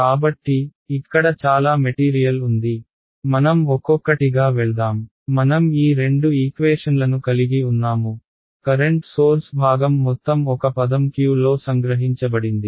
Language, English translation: Telugu, So, lot of material here, let us go one by one; I have these two equations the entire current source part has been condensed into one term Q ok